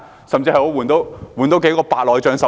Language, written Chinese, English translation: Cantonese, 甚至可進行多少次白內障手術？, and even How many cataract operations can be done instead?